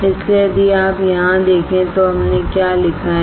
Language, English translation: Hindi, So, if you see here, what we have written